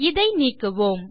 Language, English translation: Tamil, Let me change this